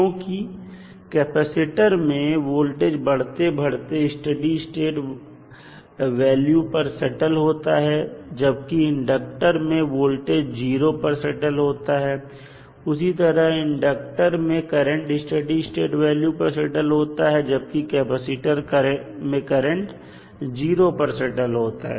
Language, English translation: Hindi, When in case of capacitor voltage rises to steady state value while in case of inductor voltage settles down to 0 and similarly current in this case is settling to a steady state value while in case of capacitor the current will settle down to 0